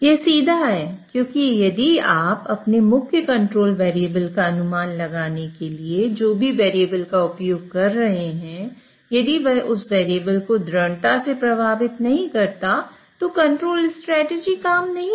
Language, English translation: Hindi, That is straightforward because if whatever variable you are using to infer your main control variable, if it does not strongly affect that variable, then the control strategy would not work